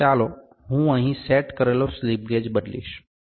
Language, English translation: Gujarati, So, let me change the slip gauge set up here